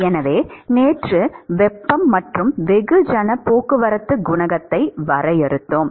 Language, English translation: Tamil, So, we defined the heat and mass transport coefficient yesterday